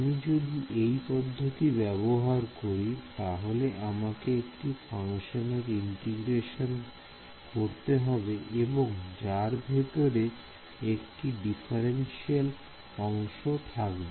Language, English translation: Bengali, If I do integration by parts I have to integrate one function and I already have the differential inside there